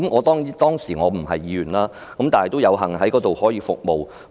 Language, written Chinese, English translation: Cantonese, 雖然當時我不是議員，但仍有幸為醫管局服務。, Though I was not a Legislative Council Member then I was fortunate enough to offer my services to HA